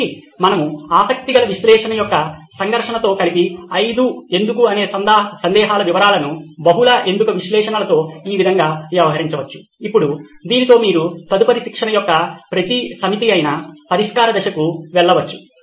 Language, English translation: Telugu, So this is how we can deal with the five whys, multi why analysis combining it with the conflict of interest analysis, now with this you can go onto the solve stage, which is a next module